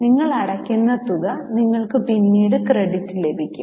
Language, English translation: Malayalam, The amount which you are paying, you can get credit later on